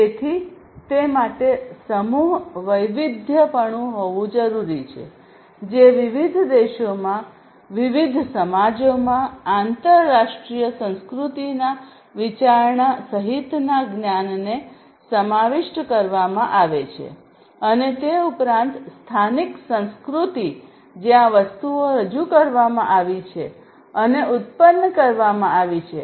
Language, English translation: Gujarati, So, mass customization will incorporate the knowledge including the consideration of international culture across different countries, different societies, and so on and also the local culture where things have been introduced and produced first